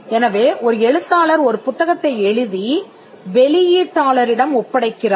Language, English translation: Tamil, So, an author writes a book and assign it to the publisher